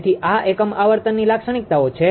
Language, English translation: Gujarati, So, this is unit frequency the characteristics it is